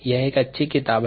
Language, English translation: Hindi, this is a good book